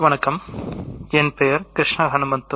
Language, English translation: Tamil, My name is Krishna Hanumanthu